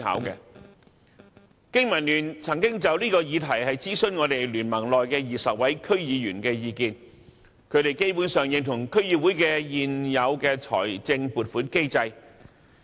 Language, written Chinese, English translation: Cantonese, 經民聯曾就這議題諮詢聯盟內20位區議員的意見，他們基本上認同區議會的現有財政撥款機制。, The BPA has consulted the 20 DC members of the BPA on this issue . They basically support the existing funding mechanism of DCs